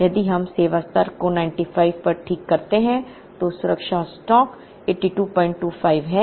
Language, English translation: Hindi, If we fix the service level at 95, safety stock is 82